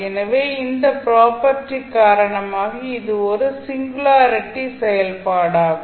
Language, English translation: Tamil, So, because of this property this will become a singularity function